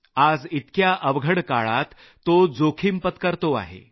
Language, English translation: Marathi, In these troubled times, he too is taking a great risk